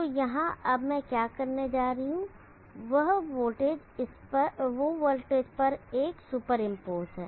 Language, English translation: Hindi, So now here what I am going to do now is a super impose on the voltage